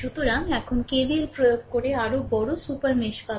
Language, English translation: Bengali, So, now, applying KVL to the larger super mesh you will get